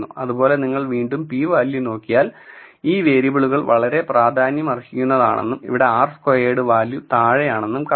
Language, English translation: Malayalam, So, again if you look at the p value it tells you that these variables are very significant and if you look at the r squared value here down